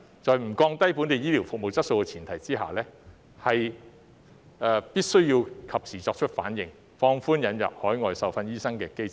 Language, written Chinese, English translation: Cantonese, 在不降低本地醫療服務質素的前提下，必須及時作出反應，放寬引入海外受訓醫生的機制。, On the premise of not lowering the quality of local healthcare services timely response must be made to relax the mechanism for admitting overseas trained doctors